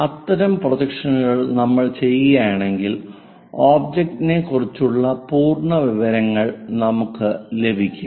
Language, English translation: Malayalam, If we do such kind of projections, the complete information about the object we are going to get